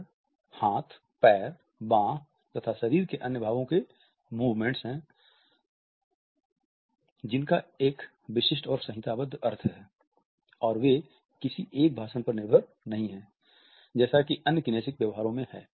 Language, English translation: Hindi, They are the movements of hands, feet, arms another parts of the body which have a specific and codified meaning, and they are not as dependent on a speech as other kinesic behaviors are